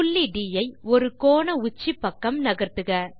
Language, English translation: Tamil, Move the point D towards one of the vertices